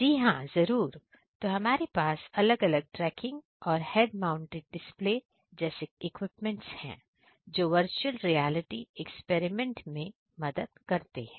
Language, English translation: Hindi, Yes, sure so we are having different kinds of tracking and head mounted display kind of equipments which basically used for the virtual reality experiments